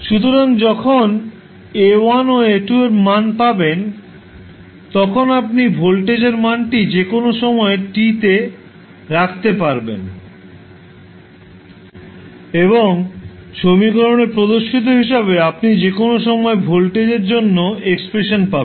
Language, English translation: Bengali, So when you get the value of A1 and A2 you can put the values in the value for voltage at any time t and you get the expression for voltage at any time t, as shown in the equation